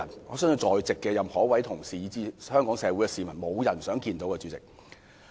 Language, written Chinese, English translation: Cantonese, 我相信在席的每位同事及全港市民都不想看到有此災難。, I do not think any colleagues present or any people in Hong Kong will want to see this happen